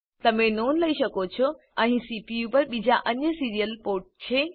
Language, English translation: Gujarati, You may notice that there are other serial ports on the CPU